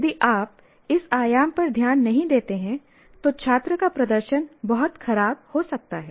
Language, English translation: Hindi, If you don't pay attention to this dimension, then the student performance can become very poor